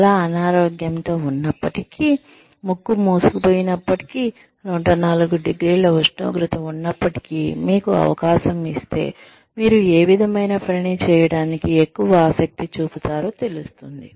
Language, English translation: Telugu, Despite being so sick, you know, despite having a clogged nose, and a 104 degree temperature, if given an opportunity, what kind of work, would you feel, most interested in doing